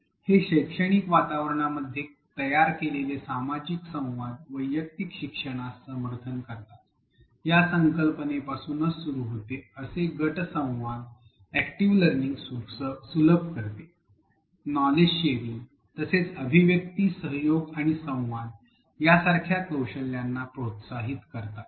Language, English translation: Marathi, It starts with the idea that the social interactions that are built into a learning environment provides support for individual learning, such group interactions facilitate active learning, sharing of knowledge, promotes skills such as articulation, collaboration, and communication